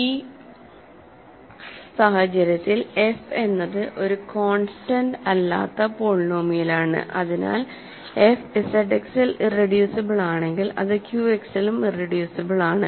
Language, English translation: Malayalam, In this case f is a non constant polynomial, so if f is irreducible in Z X it would be irreducible in Q X